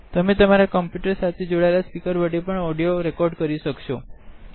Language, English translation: Gujarati, You can also record audio from the speakers attached to your computer by checking this option